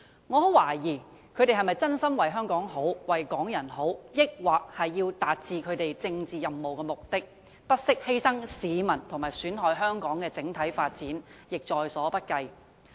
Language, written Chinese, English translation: Cantonese, 我很懷疑他們是否真心為香港好、為港人好，還是為了達致他們的政治任務和目的，不惜犧牲市民利益及損害香港的整體發展亦在所不計。, I am very doubtful whether they are really working sincerely for what is good for Hong Kong and the people or they are determined to carry out their political missions and achieve their political objectives and for this purpose will not hesitate to do anything that will sacrifice peoples interests and do harm to the overall development of Hong Kong